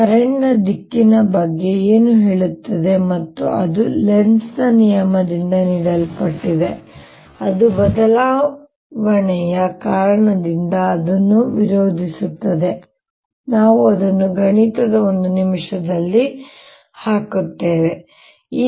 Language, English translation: Kannada, and that is given by lenz's law, which says that the direction is such that it opposes because of change, and we'll put that mathematically in a minute